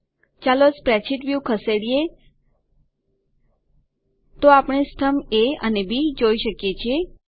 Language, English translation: Gujarati, Let us move the spreadsheet view so we can see columns A and B